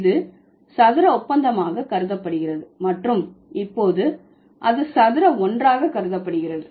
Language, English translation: Tamil, It used to be considered as square deal and now it is considered as square one